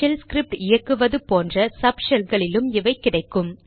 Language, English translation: Tamil, These are also available in subshells spawned by the shell like the ones for running shell scripts